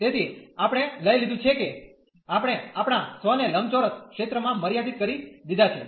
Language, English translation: Gujarati, So, we have taken we have restricted our self to the rectangular region